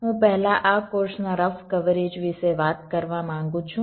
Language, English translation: Gujarati, i would ah first like to talk about the rough coverage of this course